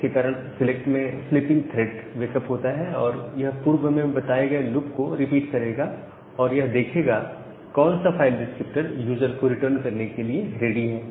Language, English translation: Hindi, So, this will cause that thread sleeping inside the select wakeup and it will repeat the above loop and see which of the file descriptor are now ready to be returned to the user